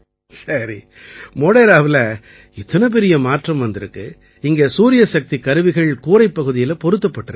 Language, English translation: Tamil, Tell me, the big transformation that came in Modhera, you got this Solar Rooftop Plant installed